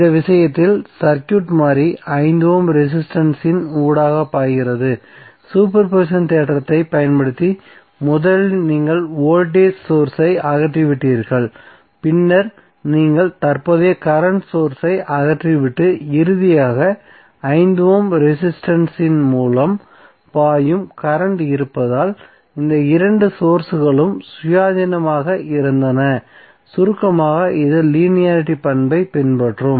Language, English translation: Tamil, So in this case the circuit variable was current flowing through 5 Ohm resistance, so using super position theorem first you removed the voltage source and then you remove the current source and finally rent flowing through 5 Ohm resistance because of both of this sources independently were summed up because it will follow linearity property